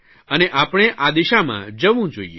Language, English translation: Gujarati, We should move in this direction